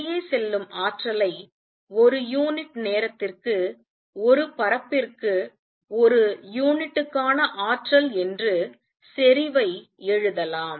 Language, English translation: Tamil, Energy which is going out can be written as the intensity which is energy per unit per area per unit time